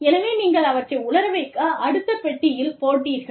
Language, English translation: Tamil, And then, you would put them, in the other compartment to dry